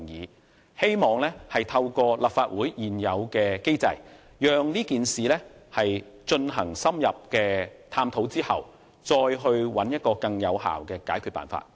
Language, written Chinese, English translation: Cantonese, 我希望透過立法會現有的機制，對事件進行深入探討後，再找出更有效的解決辦法。, I hope to find out a more effective solution after looking into the matter deeply via the existing mechanism of the Legislative Council